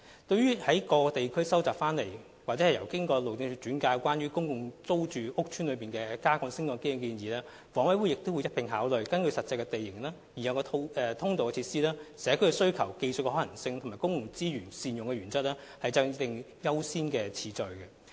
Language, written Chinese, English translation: Cantonese, 至於在各地區蒐集所得或經由路政署轉介有關公共租住屋邨內加建升降機的建議，房委會亦會一併考慮，根據實際地形、已有的通道設施、社區需求、技術可行性及善用公共資源原則等，制訂優先次序。, HA will also consider the proposals put forward by various parties in different districts or forwarded by the Highways Department concerning the installation of lifts in public rental housing PRH estates . It will also set the priority of works according to the actual terrain availability of access facilities needs of the community technical feasibility and the principle of proper use of public resources